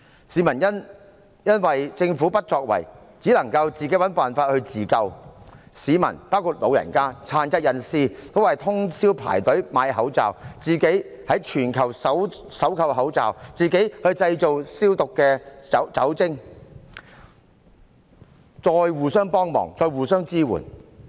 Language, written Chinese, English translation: Cantonese, 市民因為政府不作為，只能自行尋找辦法自救，市民包括長者和殘疾人士均要徹夜排隊輪候購買口罩，自行在全球搜購口罩，自行製造酒精消毒用品，再互相幫忙，互相支援。, Owing to the Governments inaction the people could not but find their own ways to save themselves . Members of the public including the elderly and persons with disabilities had to queue up overnight to buy face masks . They went global in search for face masks by themselves and made alcoholic disinfectants by themselves